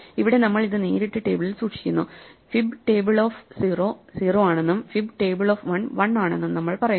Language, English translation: Malayalam, So, here we just store it into the table directly; we say fib table of 0 is 0, fib table of 1 is 1